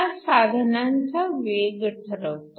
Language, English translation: Marathi, This determines the speed of the device